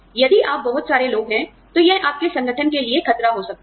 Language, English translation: Hindi, If you lay off, too many people, it could be a threat, to your organization